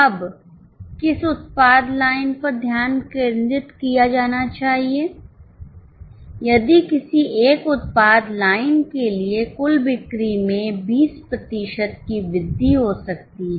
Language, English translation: Hindi, Now which product line should be focused if total sales can be increased by 20% for any one of the product lines